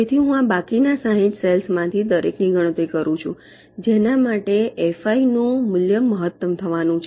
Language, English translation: Gujarati, so so i calculate for each of the remaining sixty cells for which the value of fi is coming to be maximum